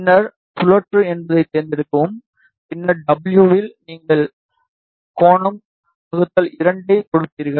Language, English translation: Tamil, Then select rotate, and then in W you give angle by 2 ok